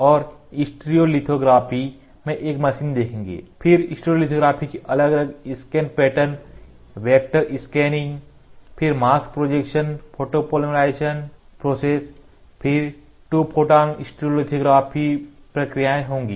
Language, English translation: Hindi, And we will see a machine in stereolithography, then what are the different scan patterns, vector scanning, then mask projection photopolymerization process, then at last to be Two Photon stereolithography processes